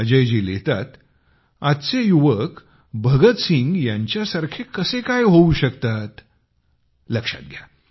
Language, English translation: Marathi, Ajay ji writes How can today's youth strive to be like Bhagat Singh